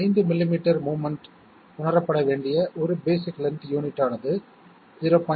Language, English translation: Tamil, 5 millimetres of movement have to be realized in 1 basic length unit is 0